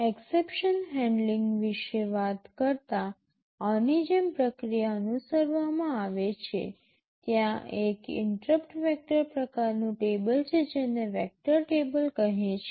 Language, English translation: Gujarati, Talking about exception handling, a process like this is followed; there is an interrupt vector kind of a table called vector table